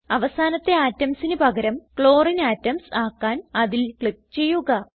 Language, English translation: Malayalam, Click on the terminal atoms to replace them with Clorine atoms